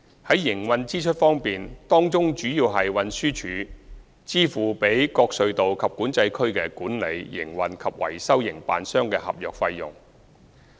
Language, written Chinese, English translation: Cantonese, 在營運支出方面，當中主要是運輸署支付予各隧道及管制區的管理、營運及維修營辦商的合約費用。, Operating expenditures involve mainly the contract fees paid by the Transport Department TD to operators responsible for the management operation and maintenance of the tunnels and Control Areas